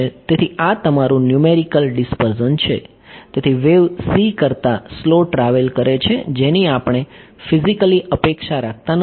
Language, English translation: Gujarati, So, this is your numerical dispersion right; so, so the wave travels slower than c which we do not physically expect